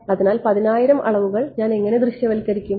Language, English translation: Malayalam, So, how do I visualize 10000 dimensions